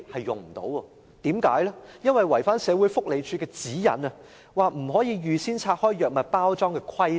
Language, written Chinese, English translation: Cantonese, 因為違反了社會福利署的指引中有關不可預先拆開藥物包裝的規定。, For the use of the system required the removal of medication packing in advance which violates the guidelines laid down by the Social Welfare Department